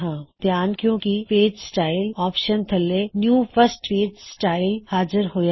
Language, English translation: Punjabi, Notice that new first page style appears under the Page Styles options